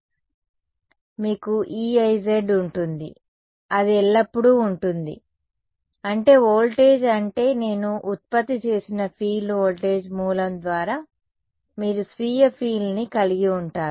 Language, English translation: Telugu, So, you will have E z i ok, that is always there, that is the voltage I mean the field produced by the voltage source, then you have the self field right